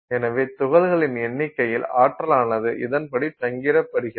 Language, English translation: Tamil, So, number of particles are distributed across energy like this